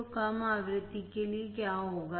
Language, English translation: Hindi, So, what will happen for low frequency